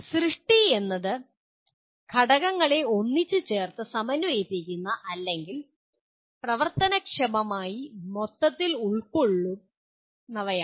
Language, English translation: Malayalam, Creation is strictly involves putting elements together to form a coherent or a functional whole